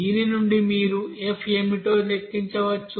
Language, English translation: Telugu, So from this you can calculate what will be the f